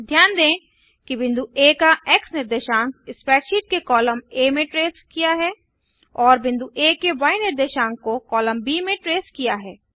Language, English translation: Hindi, Notice the X coordinate of point A is traced in column A of the spreadsheet, and the Y coordinate of point A in column B